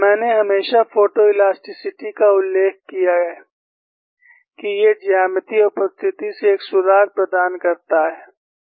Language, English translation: Hindi, I have always been mentioning, photo elasticity provides a clue from the geometric appearance